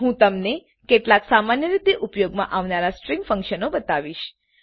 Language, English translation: Gujarati, I am going to show you some of the commonly used string functions